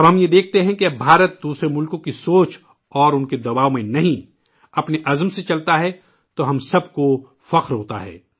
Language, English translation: Urdu, When we observe that now India moves ahead not with the thought and pressure of other countries but with her own conviction, then we all feel proud